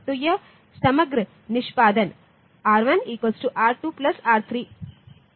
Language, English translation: Hindi, So, this the overall execution is R1 equal to R2 plus R3 into 4